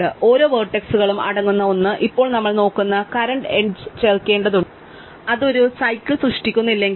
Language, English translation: Malayalam, One containing each vertex and now we need to add the current edge we are looking at, provided it does not create a cycle